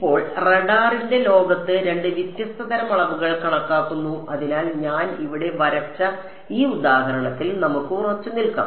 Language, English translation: Malayalam, Now, so there are in the world of radar there are two different kinds of sort of quantities that are calculated; so, let us let us stick to this example which I have drawn over here